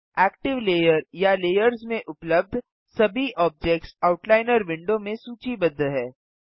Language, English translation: Hindi, All objects present in the active layer or layers are listed in the Outliner window